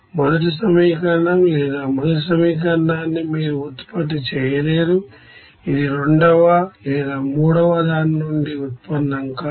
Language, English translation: Telugu, Like you cannot generate the second equation from the first one or first one cannot be generated from the second one or third one like this